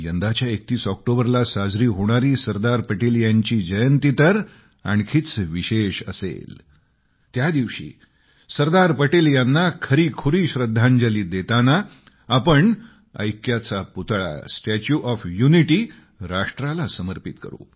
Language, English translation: Marathi, The 31st of October this year will be special on one more account on this day, we shall dedicate the statue of unity of the nation as a true tribute to Sardar Patel